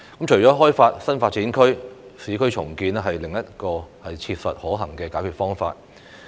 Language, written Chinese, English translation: Cantonese, 除了開發新發展區，市區重建是另一個切實可行的解決方法。, Apart from developing NDAs urban renewal is another practical solution